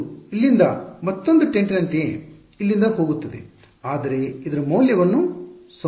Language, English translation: Kannada, It will go from here like this right another tent over here, but its value along this will be conserved